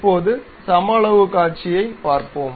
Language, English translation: Tamil, Now, let us see of the same dimensions